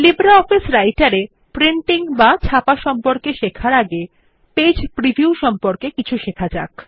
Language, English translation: Bengali, Before learning about printing in LibreOffice Writer, let us learn something about Page preview